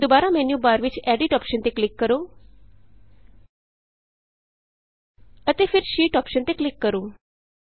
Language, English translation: Punjabi, Now again click on the Edit option in the menu bar and then click on the Sheet option